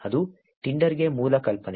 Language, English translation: Kannada, That is the basic idea for Tinder